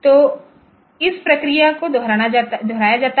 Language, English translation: Hindi, So, this process is repeated